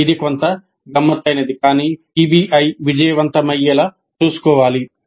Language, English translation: Telugu, This is somewhat tricky but it is required to ensure that PBI becomes successful